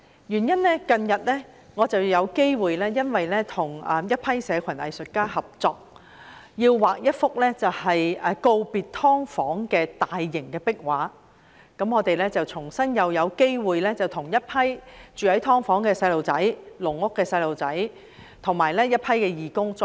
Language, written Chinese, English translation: Cantonese, 原因是我近日有機會跟一些社群藝術家合作畫一幅告別"劏房"的大型壁畫，我與一群義工再次有機會探訪很多居住在"劏房"及"籠屋"的住戶和小朋友。, The reason is that I recently had the opportunity to work with some community artists to paint a large mural with the theme of bidding goodbye to subdivided units and a group of volunteers and I once again had the opportunity to visit many residents and children living in subdivided units and caged homes